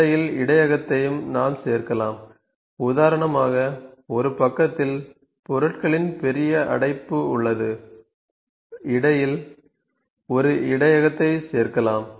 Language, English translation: Tamil, We can also add the buffer in between, for instance this is the big blockage of the materials in one side we can add a buffer in between